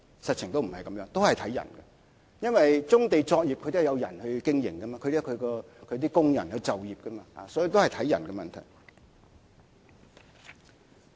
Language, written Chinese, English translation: Cantonese, 實情不是這樣，都是以人作考慮，因為棕地上的作業都是人在經營，有工人就業，所以都是以人作考慮。, The fact is we must be people oriented because when people are operating a business on a brownfield site they are providing employment to workers